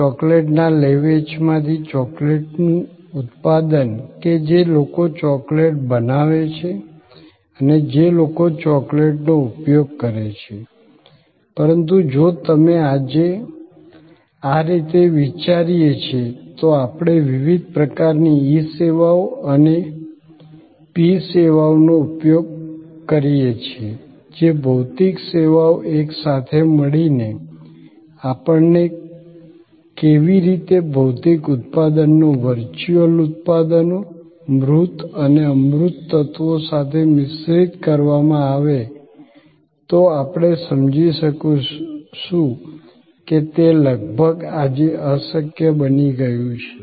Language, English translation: Gujarati, The manufacturing of the chocolate from the marketing of the chocolate or the people who produce chocolates and people who consume chocolates, but if you think through the way today we use various kinds of e services and p services that physical services together, how we inter mix physical products with virtual products, tangible and intangible elements, we will able to realize that it has become almost impossible today